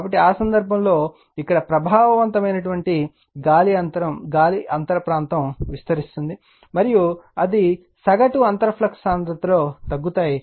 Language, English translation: Telugu, So, in that case, your what you call your that is your enlargement of the effective air gap area, and they decrease in the average gap your what you call average gap flux density